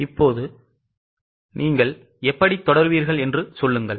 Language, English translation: Tamil, Now, tell me how will you proceed